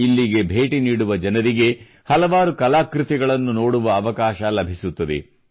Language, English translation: Kannada, People who come here get an opportunity to view myriad artefacts